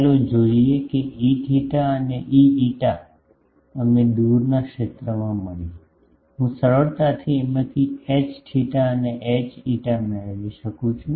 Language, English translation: Gujarati, Let us see that E theta and E phi, we got in the far field I can easily get H theta H phi from this